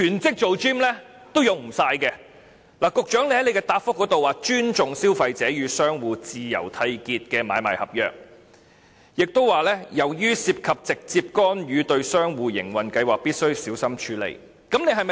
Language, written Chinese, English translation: Cantonese, 局長在主體答覆中說會"尊重消費者與商戶自由締結的買賣合約"，亦提到"由於涉及直接干預對商戶營運計劃，必須小心處理"。, In his main reply the Secretary talked about respecting contracts for sale and purchase freely entered into between traders and consumers and that the suggestion amount[ed] to a direct intervention into the business plans of traders and must be considered carefully